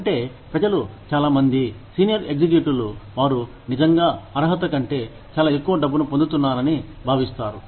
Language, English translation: Telugu, Which means, people, a lot of people, feel that, senior executives are getting, a lot more money, than they actually deserve